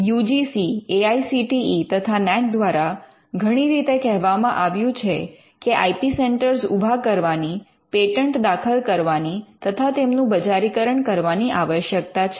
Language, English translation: Gujarati, The UGC, AICTE and NAAC has mentioned in many words they need to set up IP centres and to be filing patterns and even to commercialize them